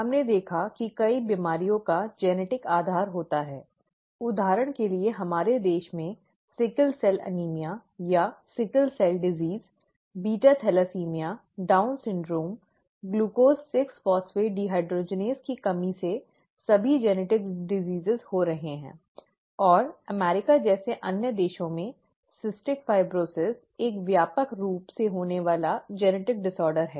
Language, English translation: Hindi, We saw that many diseases have a genetic basis; for example in our country, sickle cell anaemia or sickle cell disease, beta thalassaemia, Down syndrome, glucose 6 phosphate dehydrogenase deficiency are all occurring genetic diseases and in other countries such as the US, cystic fibrosis is a widely occurring genetic disorder